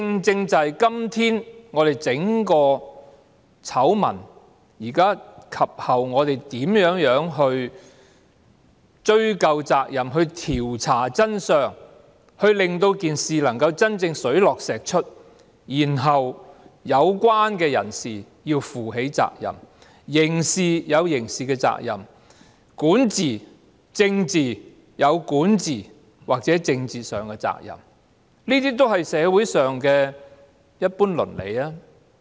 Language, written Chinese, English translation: Cantonese, 就整個醜聞，我們及後如何追究責任，調查真相，令事情真正水落石出，然後令有關人士負起責任，在刑事上有刑事的責任、在管治或政治上有管治或政治的責任，這些也是社會上的一般倫理吧。, Does the common morality accepted in society not dictate that after the outbreak of the entire scandal we should ascertain responsibility conduct an inquiry to really find out the truth and then hold the parties concerned responsible not only at the criminal level but also at the governance or political level?